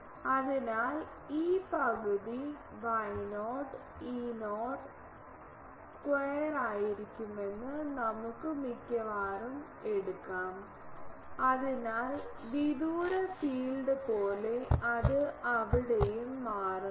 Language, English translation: Malayalam, So, we can almost take it that it will be half Y not E square E, E not square; so, just like far field it becomes there